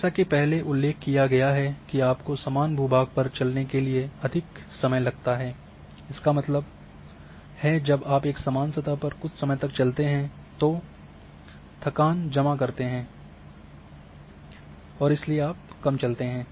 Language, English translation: Hindi, As earlier mentioned that more you walk the longer it takes to walk over similar terrain; that means, when you walk on a terrain after some time you accumulate the tiredness and therefore, you would walk less